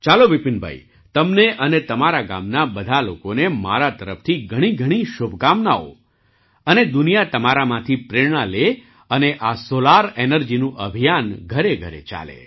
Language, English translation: Gujarati, Fine, Vipin Bhai, I wish you and all the people of your village many best wishes and the world should take inspiration from you and this solar energy campaign should reach every home